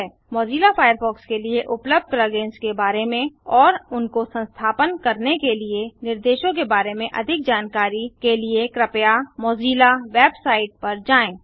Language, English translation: Hindi, To learn more about plug ins available for mozilla firefox and instructions on how to install them please visit the mozilla website